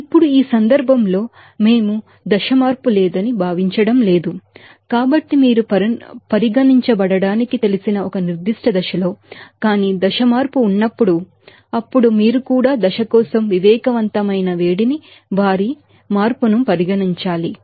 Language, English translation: Telugu, Now, in this case, we are not considering that there is no phase change, so, within a certain phase that will be you know to be considered, but whenever phase change will be there, then you have to you know consider also that sensible heat for phase change their